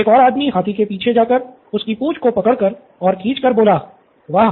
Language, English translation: Hindi, The other one went behind the elephant and pulled on the tail said, Wow